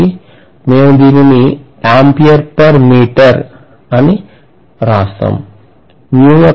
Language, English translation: Telugu, So we should be able to write this as ampere per meter